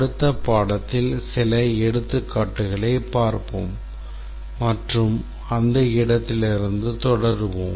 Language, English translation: Tamil, We will look at some examples in the next lecture and we will continue from that point onwards